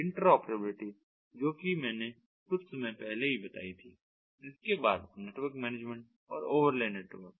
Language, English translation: Hindi, interoperability i have already mentioned just a while back then, network management and overlay network